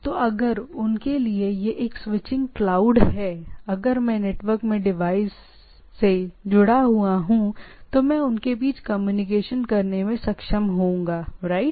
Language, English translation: Hindi, So, if so for them this is a switching cloud right, or so to say, that some way if I am connected, I will be able to communicate with the things, right